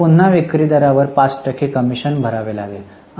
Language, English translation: Marathi, But again we will have to pay commission of 5% on the selling price